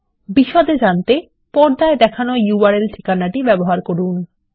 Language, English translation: Bengali, Use the url address shown on the screen